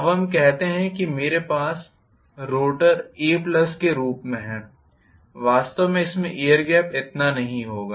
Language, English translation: Hindi, Now let us say I have the rotor in the form of a plus actually it will not have so much of air gap